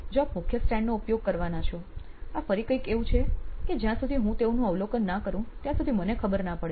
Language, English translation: Gujarati, If you are going to use the main stand again this is something that is not aware of till I observed them on the field